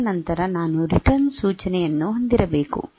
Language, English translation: Kannada, At the end after that I should have the return instruction